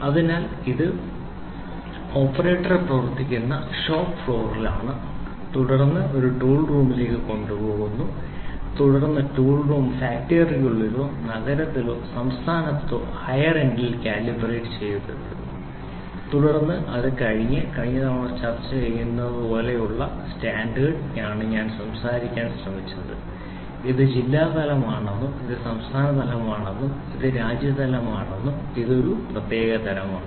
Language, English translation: Malayalam, So, this is at shop floor where operator works, then it is taken to a tool room then the tool room is getting calibrated at a higher end either inside the factory or in the city somewhere or in the state, then it is taken to the standard like last time we discussed I was trying to talk about tell this is district level, this is state level and this is country level and this is a special type which is used